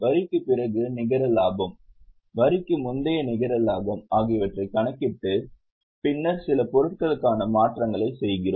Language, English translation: Tamil, We calculate net profit after tax, net profit before tax and then do adjustments for certain items